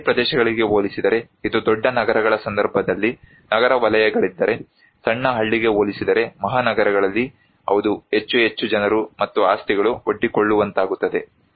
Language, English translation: Kannada, Compared to village areas, if it is in urban sectors like, in case of big cities; in metropolitan cities compared to a small village; yes, more and more people and properties are exposed